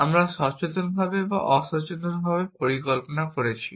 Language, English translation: Bengali, We are planning consciously or unconsciously